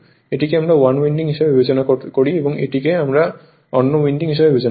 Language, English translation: Bengali, This one we consider as 1 winding and this one, we consider another winding right